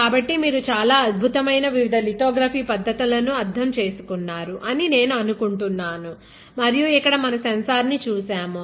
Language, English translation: Telugu, So, I think you understood a very beautiful and concept of different lithography techniques and actually saw a sensor here